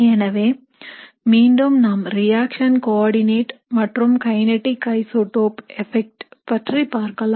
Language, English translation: Tamil, So again, let us look at the reaction coordinate and kinetic isotope effect